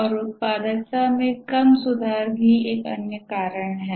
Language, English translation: Hindi, And also the other reason is low productivity improvements